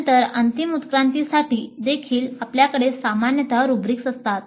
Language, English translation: Marathi, Then for final evaluation also generally we have rubrics